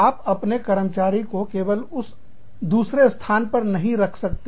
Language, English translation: Hindi, You cannot only have your staff, in that other location